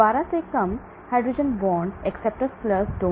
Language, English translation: Hindi, Less than 12 hydrogen bond acceptors + donors